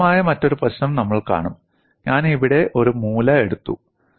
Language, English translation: Malayalam, And we would see another interesting problem; I have taken a corner here